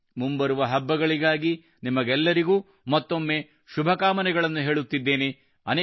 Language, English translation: Kannada, With this wish, once again many felicitations to all of you for the upcoming festivals